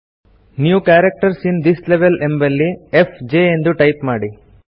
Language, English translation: Kannada, In the New Characters in this Level field, enter fj